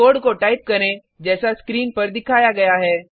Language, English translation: Hindi, Type the piece of code as shown on the screen